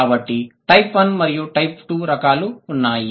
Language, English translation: Telugu, So, type 1 and type 2